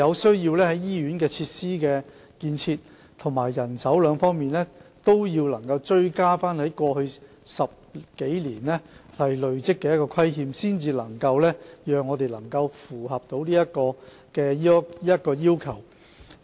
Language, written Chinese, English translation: Cantonese, 在醫院設施建設及人手兩方面，我們有需要追回過去10多年累積的不足，屆時我們才能符合這個要求。, In respect of hospital building facilities and manpower we have to catch up with the inadequacies accumulated in the past decade or so . It is only by then will we be able to meet this requirement